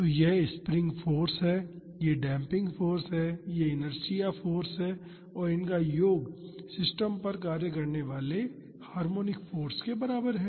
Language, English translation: Hindi, So, this is the spring force, this is the damping force, this is the inertia force and the sum is equal to the harmonic force acting on the system